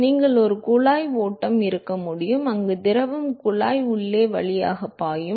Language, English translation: Tamil, You can have a pipe flow, where the fluid is flowing through the inside the tube